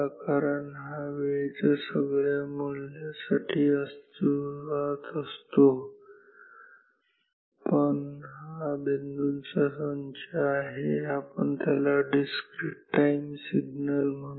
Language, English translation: Marathi, Because, it exists continuously for all the law of time, but this great set of points this we will call discrete time signal